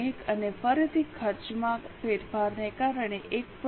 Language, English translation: Gujarati, 1 because of change of cost